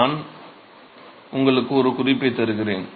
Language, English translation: Tamil, So, I will give you a hint